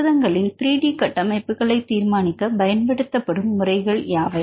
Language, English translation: Tamil, So, what are the various methods used to determine 3 D structures of proteins